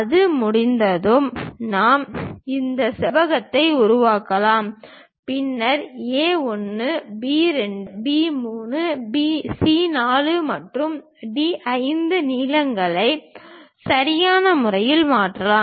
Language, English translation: Tamil, Once that is done we can construct this rectangle, then transfer lengths A 1, B 2, B 3, C 4 and D 5 lengths appropriately